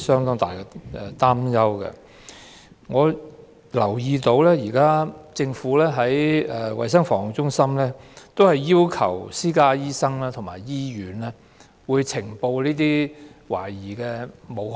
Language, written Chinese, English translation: Cantonese, 我留意到，政府的衞生防護中心現在只要求私家醫生和醫院呈報武漢肺炎懷疑個案。, I noted that CHP of the Government now only requests private medical practitioners and hospitals to report suspected cases of Wuhan pneumonia